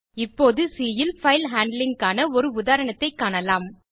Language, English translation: Tamil, Now let us see an example on file handling in C